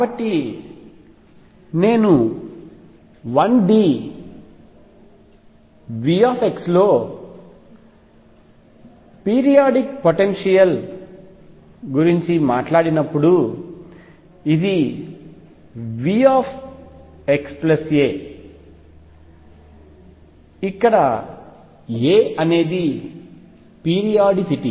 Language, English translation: Telugu, So, when I talk about a periodic potential in 1D V x this is V x plus a, where a is the periodicity